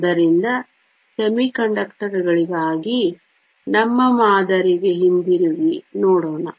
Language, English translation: Kannada, So, let us go back to our model for semiconductors